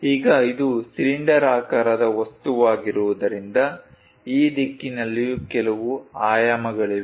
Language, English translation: Kannada, Now, because it is a cylindrical object, there are certain dimensions associated in this direction also